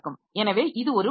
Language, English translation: Tamil, So, that is one possibility